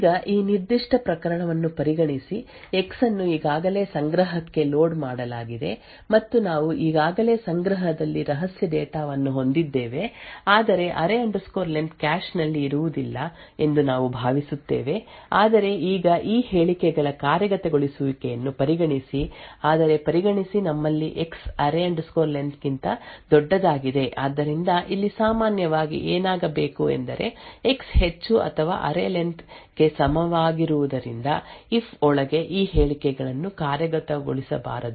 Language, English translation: Kannada, Now consider the this particular case we would assume the case where X has already been loaded into the cache and we have the secret data already present in the cache but the array len is not present in the cache now consider again the execution of these statements but consider the case that we have X is greater than array len so typically in what should happen over here is that since X is greater than or equal to array len these statements inside the if should not be executed so typically since X is greater than array len the statements inside this if condition should not be executed